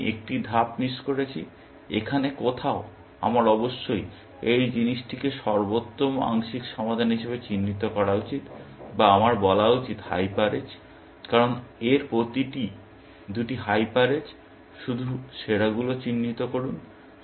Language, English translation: Bengali, I have missed out one step here, somewhere here; I must have this thing marked as best sub solution, or I should say, hyper edge, because each of these are the two hyper edges; just mark the best ones